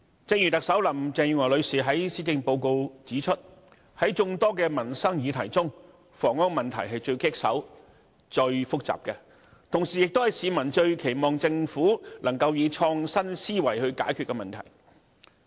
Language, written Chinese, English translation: Cantonese, 正如特首林鄭月娥女士在施政報告中指出，在眾多民生議題中，房屋問題是最棘手及最複雜的，同時亦是市民最期望政府能夠以創新思維解決的問題。, As pointed out by the Chief Executive Ms Carrie LAM in the Policy Address among all livelihood issues the housing problem is the most formidable and complex . It is also the very issue that the people most earnestly look to the Government for solutions underpinned by innovative thinking